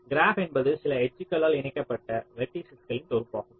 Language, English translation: Tamil, graph is what a set of vertices connected by some edges